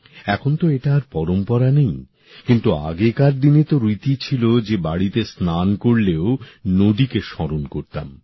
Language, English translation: Bengali, This tradition has ceased now…but in earlier times, it was customary to remember rivers while bathing at home